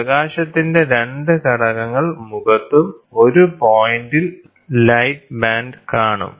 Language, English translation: Malayalam, So, thus the 2 components of light will be in face, and the light band will be seen at a point